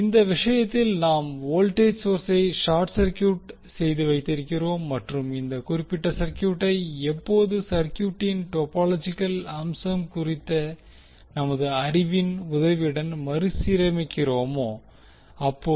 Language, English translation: Tamil, So that voltage source will be the short circuited and when we will rearrange this particular circuit with the help of our knowledge on topological aspect of the circuit